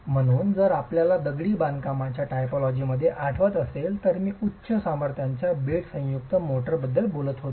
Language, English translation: Marathi, So if you remember in the typologies of masonry, I was talking about high strength bed joint motors